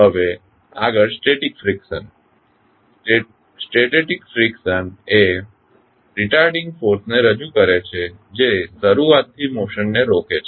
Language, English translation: Gujarati, Now, next static friction, static friction represents retarding force that tends to prevent motion from beginning